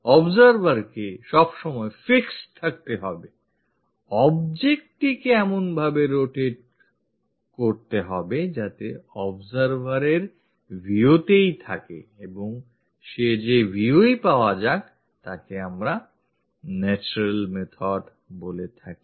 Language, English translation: Bengali, Observer is always be fixed, object will be rotated in such a way that it will be in the view of the observer and whatever the view we get, that we call this natural method